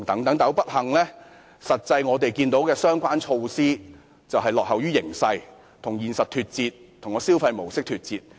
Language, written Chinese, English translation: Cantonese, 可是，不幸地，相關措施顯示香港落後於形勢，與現實脫節，與消費模式脫節。, However unfortunately the relevant measures indicate that Hong Kong lags behind the prevailing situation and that it is detached from the reality and the present modes of consumption